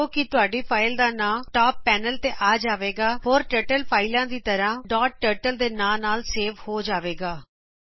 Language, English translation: Punjabi, Notice that the name of the file appears in the top panel and it is saved as a dot turtle file like all Turtle files